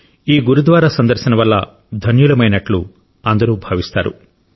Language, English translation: Telugu, Everyone feels blessed on visiting this Gurudwara